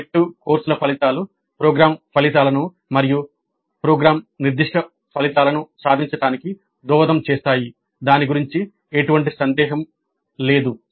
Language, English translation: Telugu, Now the outcomes of elective courses do contribute to the attainment of program outcomes and program specific outcomes